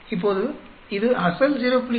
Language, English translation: Tamil, Now, this will be the same as the original 0